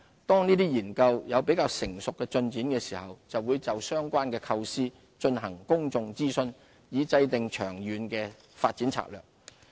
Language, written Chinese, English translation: Cantonese, 當研究有較成熟的進展時，會就相關構思進行公眾諮詢，以制訂長遠發展策略。, Once more concrete progress is made public consultation on the relevant conceptual proposals will be launched to map out the strategy for long - term development